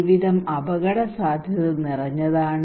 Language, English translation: Malayalam, Life is full of risk